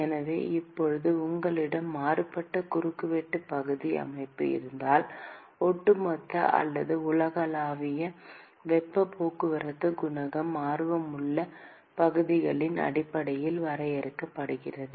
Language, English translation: Tamil, So, now, if you have varying cross sectional area system, then the overall or the universal heat transport coefficient is defined based on the area of interest